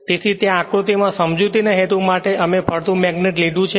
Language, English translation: Gujarati, So, there in this diagram in this diagram for the purpose of explanation we have taken a moving magnet